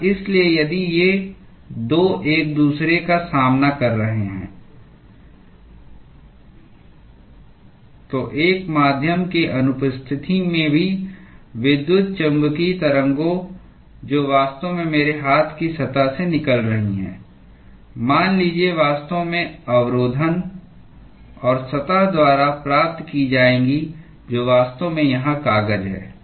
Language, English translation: Hindi, And so, if these 2 are facing each other, then even in the absence of a medium, the electromagnetic waves which is actually emitting from the surface of my hand let us say, would actually intercept and be received by the surface which is actually this paper here